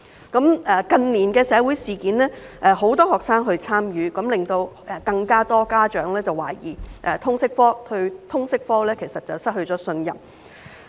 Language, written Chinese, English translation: Cantonese, 近年的社會事件，很多學生也有參與，這令更多家長懷疑通識科，對通識科失去信任。, The involvement of many students in social incidents in recent years has resulted in more parents being skeptical about the LS subject and loss of trust in it